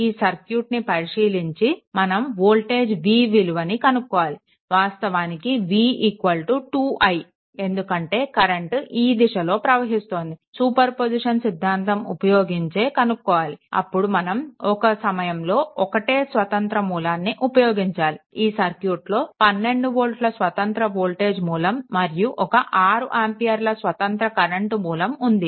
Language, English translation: Telugu, You have to find out what is the what you call; you have to find out that your voltage v in general, v is equal to 2 i that is in general right, because this is current i is flowing using superposition theorem you have to make one voltage source is there, independent voltage source is there 12 volt and one independent current source is there it is 6 ampere right